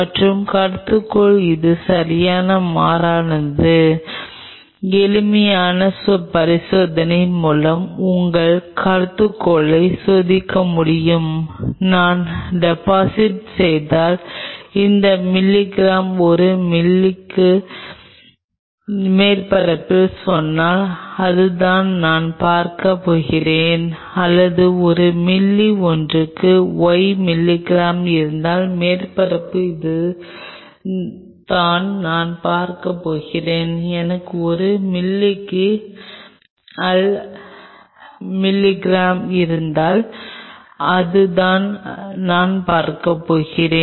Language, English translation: Tamil, The alternate hypothesis could be it will not change right you can test your hypothesis by simple experiment you can say if I deposit say this milligram per ml on the surface this is what I am going to see or if I have y milligram per ml on the surface this is what I am going to see, if I have a z milligram per ml this is what I am going to see